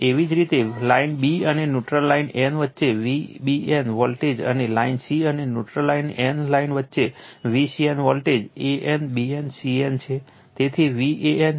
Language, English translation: Gujarati, Similarly, V b n voltage between line b and neutral line n, and V c n voltage between line c and neutral line n right line right a n, b n, c n